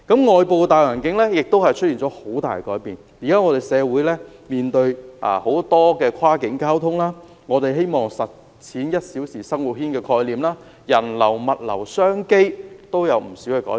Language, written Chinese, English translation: Cantonese, 外部的大環境亦出現了很大改變，現時社會面對很多跨境交通問題，人們希望實踐"一小時生活圈"的概念，人流、物流、商機都出現不少改變。, Society is facing many cross - boundary transport problems . People want to live out the concept of one - hour living circle . There are major changes in the flow of people and goods as well as business opportunities